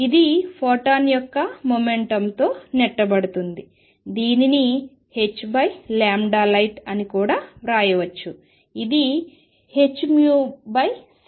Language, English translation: Telugu, It gets a kick of momentum of photon, which can also be written as h over lambda light, which is h nu over c